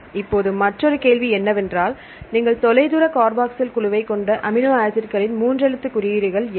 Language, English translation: Tamil, Now another question is, what a three letter codes of amino acids which you have distal carboxyl group